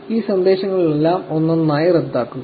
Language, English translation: Malayalam, You just cancel all these messages one by one